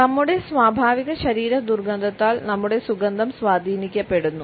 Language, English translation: Malayalam, Our scent is influenced by our natural body odor